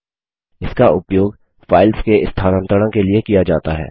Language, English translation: Hindi, This is used for moving files